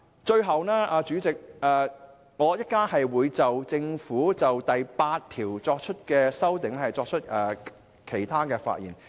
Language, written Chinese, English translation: Cantonese, 主席，我稍後還會就政府當局有關第8條的修正案發言。, President I will speak again later on the amendments moved by the Government to clause 8